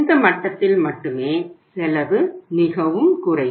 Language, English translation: Tamil, At this level only the cost is lowest